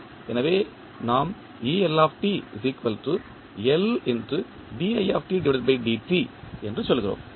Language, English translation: Tamil, So, that also we add